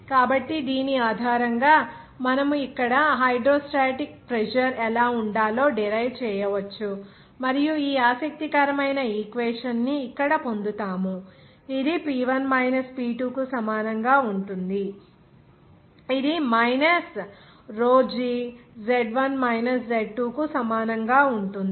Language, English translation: Telugu, So, based on which we can derive like this what should be the hydrostatic pressure there and so we have got this very interesting equation here, this will be equal to P1 minus P2 that will be equal to minus rho g Z1 minus Z2